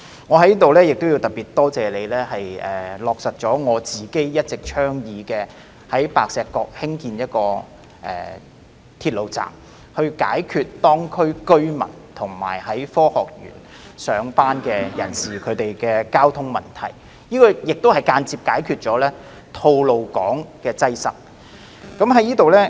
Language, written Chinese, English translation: Cantonese, 我在此特別多謝你落實了我一直以來的倡議，即在白石角興建鐵路站，以解決當區居民和在科學園上班人士的交通問題，這亦間接解決了吐露港擠塞問題。, I would like to take this opportunity to express my gratitude to you for implementing the initiative that I have all along been advocating namely the construction of a railway station at Pak Shek Kok with a view to solving the traffic problems faced by the residents in the district and people working in the Science Park thereby indirectly solving the congestion problem at Tolo Highway